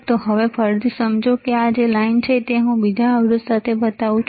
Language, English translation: Gujarati, So now, again understand, this line that is let me show it to you with another resistor